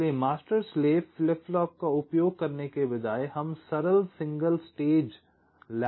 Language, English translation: Hindi, so instead of using the master slave flip flops, we can use simple single stage latches